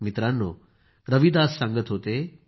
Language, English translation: Marathi, Friends, Ravidas ji used to say